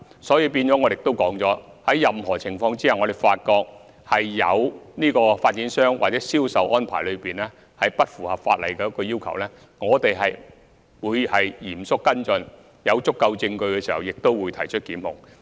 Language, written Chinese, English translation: Cantonese, 所以，正如我指出，在任何情況下，如果發覺有發展商或銷售安排不符合法例要求，我們也會嚴肅跟進，在有足夠證據時，亦會提出檢控。, Therefore as pointed out by me in any situation if it is found that any developer or sale arrangement does not comply with the relevant legal requirements we will always follow up in earnest and if there is sufficient evidence prosecution will be instituted